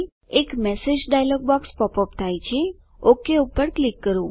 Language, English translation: Gujarati, A message dialog box pops up.Let me click OK